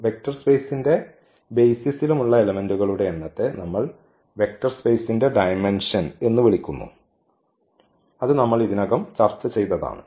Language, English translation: Malayalam, And the number of elements in any basis of a vector space is called the dimension which we have already discussed